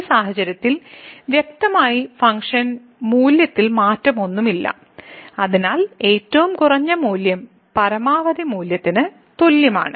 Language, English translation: Malayalam, So, in this situation clearly there is no change in the function value and therefore, the minimum value is equal to the maximum value